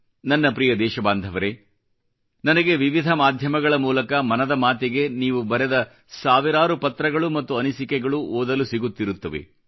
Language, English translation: Kannada, My dear countrymen, for 'Mann Ki Baat', I keep getting thousands of letters and comments from your side, on various platforms